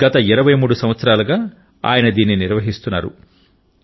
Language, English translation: Telugu, ' He has been presenting it for the last 23 years